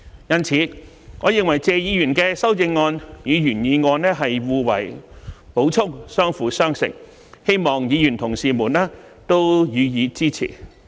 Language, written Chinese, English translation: Cantonese, 因此，我認為謝議員提出的修正案與原議案是互為補充，相輔相成，希望議員同事予以支持。, It is therefore my opinion that the amendment proposed by Mr TSE and the original motion are complementary to each other and I hope fellow Members will support them all